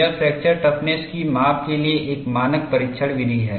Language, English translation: Hindi, It is a standard test method for measurement of fracture toughness